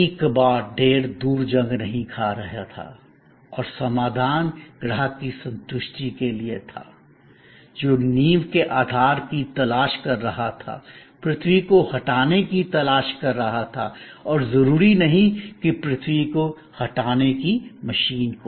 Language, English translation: Hindi, There was no more junk heap rusting away and solution was there to the satisfaction of the customer, who was looking for the foundation base, looking for earth removal and not necessarily the earth removing machine